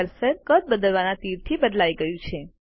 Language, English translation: Gujarati, The cursor turns into a re sizing arrow